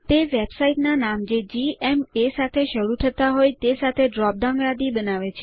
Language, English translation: Gujarati, It brings up a drop down list with websites that start with gma